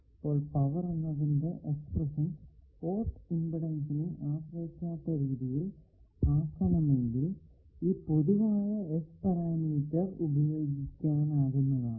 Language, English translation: Malayalam, So, if you want to make power expression independent of port impedance, this generalized S parameter a b can be used